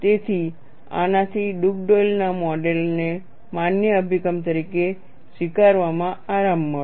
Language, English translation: Gujarati, So, this provided a comfort in accepting Dugdale’s model as a valid approach